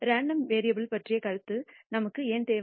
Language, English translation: Tamil, Why do we need a notion of a random variable